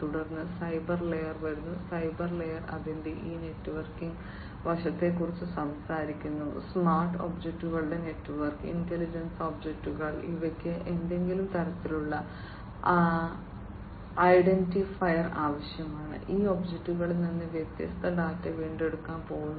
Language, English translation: Malayalam, Then comes the cyber layer, and the cyber layer is talking about this networking aspect of it, network of smart objects, intelligent objects, which will need some kind of an identifier, and from this objects the different data are going to be retrieved